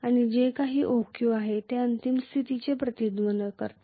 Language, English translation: Marathi, And whatever is OQ, that represents the final condition